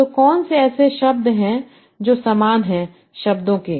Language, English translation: Hindi, So which words are similar to what are the words